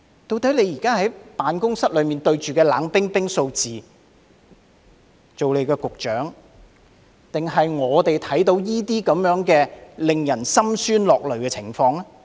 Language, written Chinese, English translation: Cantonese, 局長坐在辦公室內當局長，對着冷冰冰的數字，我們則看到這些令人心酸落淚的情況。, Secretary while you are sitting in an office doing your job as a Director of Bureau and dealing with cold figures we are coming across such heartrending stories